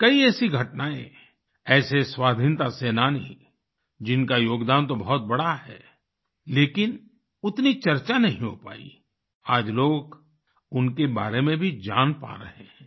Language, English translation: Hindi, There are many such incidents, such freedom fighters whose contribution have been huge, but had not been adequately discussed…today, people are able to know about them